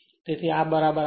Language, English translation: Gujarati, So, we know this